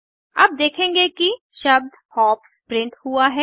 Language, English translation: Hindi, You will notice that the word hops get printed